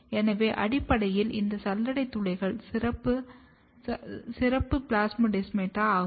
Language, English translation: Tamil, So, essentially these sieve pores are a specialized plasmodesmata